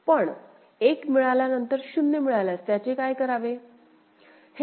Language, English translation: Marathi, But after getting 1 if it receives 0 then what it has to do